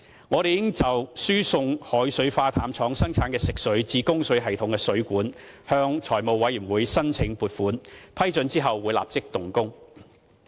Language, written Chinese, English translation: Cantonese, 我們已就輸送海水化淡廠生產的食水至供水系統的水管，向財務委員會申請撥款，批准後會立即動工。, We have already applied for funding from the Finance Committee for channeling the fresh water produced by the desalination plant to the pipes in our water distribution system and will start construction once approval is granted